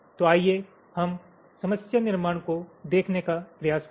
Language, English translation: Hindi, so lets try to see the problem formulation